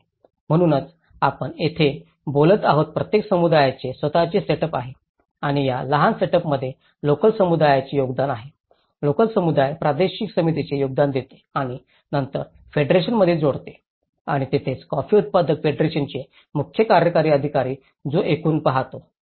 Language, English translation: Marathi, So, that is where we are talking about each community have their own setup and these smaller setups contribute a local community, the local community contributes a regional committee and then adding with the federation and that is where coffee grower’s federation CEO who looks into the overall process